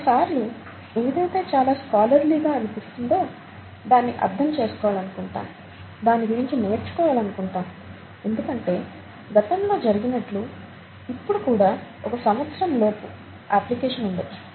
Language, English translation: Telugu, Sometimes, something that seems very, scholarly, you know, you you want to understand it, you want to learn it just because it is there could have an application within a year as has happened in the past